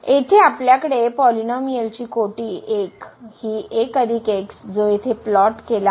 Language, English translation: Marathi, So, we have the polynomial of degree 1 as 1 plus which is plotted here